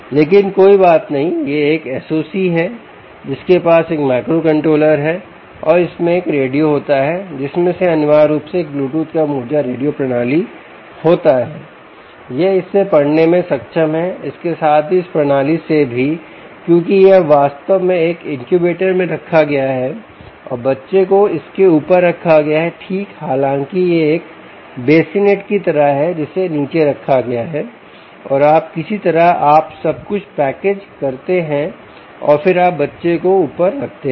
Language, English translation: Hindi, but never mind, this is a s o c which has a microcontoller and it has a radio which, from which is a essentially a bluetooth low energy radio system, it is able to read from this as well as from this system, because this is now actually placed in a incubator and the baby is placed on top of this right though this is like a bassinet which is placed below and somehow you package everything and then you place the baby on top